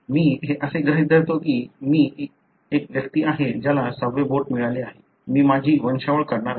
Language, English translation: Marathi, Assuming that I am, I am an individual who have got sixth finger, I am going to draw my pedigree